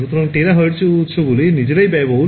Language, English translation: Bengali, So, a terahertz sources are themselves expensive